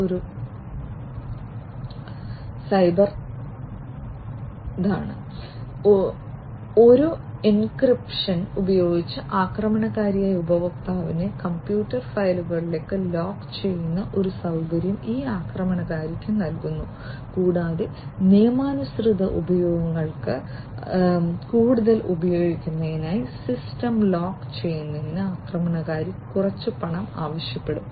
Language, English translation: Malayalam, It provides a facility to the attacker in which the attacker locks the user’s computer files by using an encryption and then the attacker will demand some money in order for them to lock the system to be further used by the legitimate users